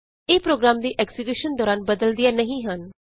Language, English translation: Punjabi, They do not change during the execution of program